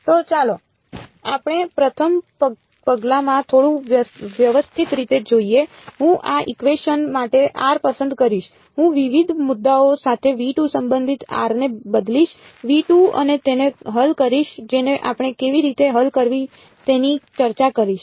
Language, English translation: Gujarati, So we will let us let us look at little bit systematically in the first step, I will choose r belonging to v 2 for in this equation I will substitute r belonging to v 2 various points and solve it which we will discuss how to solve